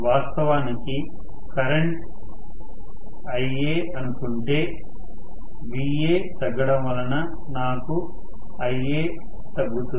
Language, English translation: Telugu, So, originally the current was Ia, now I am going to have, Ia reduced because Va has reduced